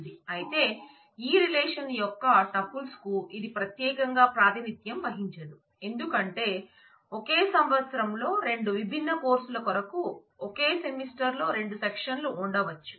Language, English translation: Telugu, But this does not uniquely represent the tuples of this relation because, there could be 2 section as in the same semester in the same year for 2 different courses how do you distinguish them